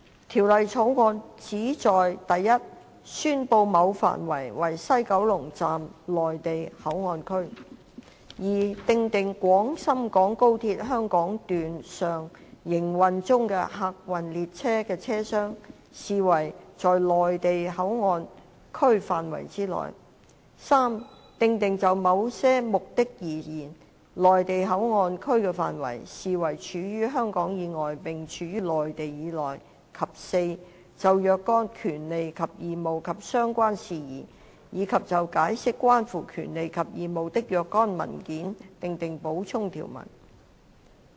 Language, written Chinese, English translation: Cantonese, 《條例草案》旨在一宣布某範圍為西九龍站內地口岸區；二訂定廣深港高鐵香港段上營運中的客運列車的車廂，視為在西九龍站內地口岸區範圍之內；三訂定就某些目的而言，西九龍站內地口岸區的範圍，視為處於香港以外並處於內地以內；及四就若干權利及義務及相關事宜，以及就解釋關乎權利及義務的若干文件，訂定補充條文。, The Bill seeks to 1 declare an area as the West Kowloon Station WKS Mainland Port Area MPA; 2 provide that a train compartment of a passenger train in operation on the Hong Kong Section HKS of the Guangzhou - Shenzhen - Hong Kong Express Rail Link XRL is to be regarded as part of MPA of WKS; 3 provide that MPA of WKS is to be regarded as an area lying outside Hong Kong but lying within the Mainland for certain purposes; and 4 make supplementary provisions for certain rights and obligations and related matters and for the interpretation of certain documents in relation to rights and obligations . The Bills Committee held the first meeting on 12 February 2018 and the last one on 7 May